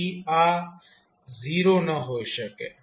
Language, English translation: Gujarati, So, this cannot be 0